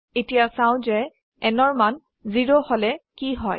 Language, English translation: Assamese, Now let us see what happens when the value of n is 0